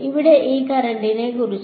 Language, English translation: Malayalam, What about this current over here